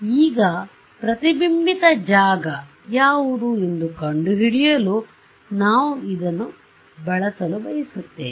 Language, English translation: Kannada, Now, we want to use this to find out, what is the reflected field